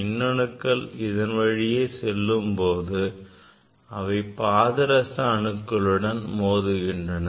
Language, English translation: Tamil, when this electrons will move it will collide with the mercury atoms mercury atoms